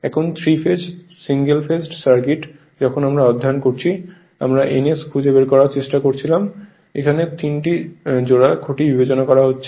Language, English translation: Bengali, Now 3 phase single phased circuit while we are studying, we were trying to find out some speed ns right; that is considering pair of 3 poles right